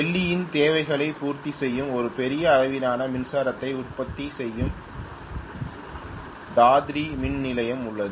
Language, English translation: Tamil, That is let us say I have Dadri power station which is generating a huge amount of electricity which is catering the needs of Delhi